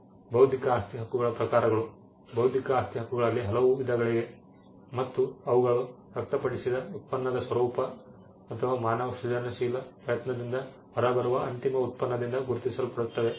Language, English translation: Kannada, Types of intellectual property rights intellectual property rights, there are many different varieties of intellectual property rights and they are distinguished by the nature of the product on which they manifested or the end product that comes out of human creative effort